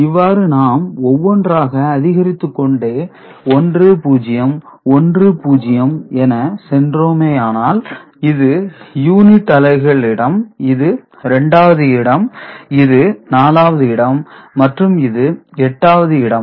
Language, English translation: Tamil, And by this we see if we go on adding the place value over here 1 0 1 0, so this is unit’s place, this is 2’s place, this is 4’s place, and this is 8’s place ok